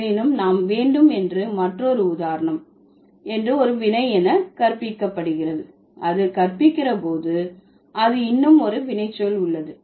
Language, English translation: Tamil, However, the other example that we have, that is teach as a verb when it becomes teaches, it still remains a verb